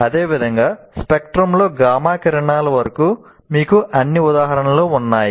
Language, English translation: Telugu, And like that you have examples of all the way up to gamma rays